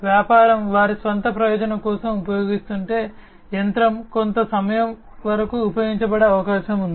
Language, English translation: Telugu, If the business was using just for their own purpose, then it is quite likely that the machine will be used for certain duration of time